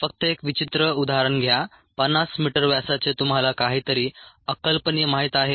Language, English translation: Marathi, this, taking an odd example, fifty meter diameter is, ah, you know, something unimaginable